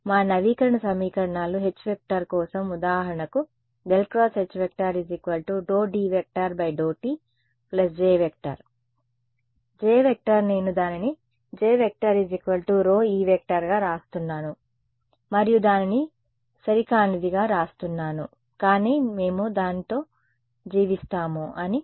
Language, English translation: Telugu, Our update equations for H for example, were right curl of H is d D by d t plus J, J I am writing as sigma E and d I am writing as epsilon E its inaccurate, but we will live with that